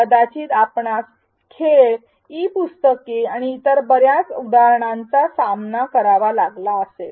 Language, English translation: Marathi, Perhaps you may have encountered games, E books and many more such examples